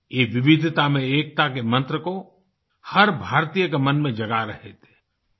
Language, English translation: Hindi, He was invoking the mantra of 'unity in diversity' in the mind of every Indian